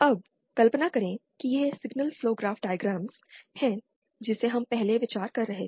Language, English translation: Hindi, Now imagine this is the signal flow graphs diagram which we were considering earlier